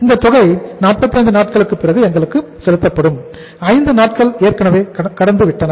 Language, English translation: Tamil, This payment is due to be received by us after 45 days; 5 days have already lapsed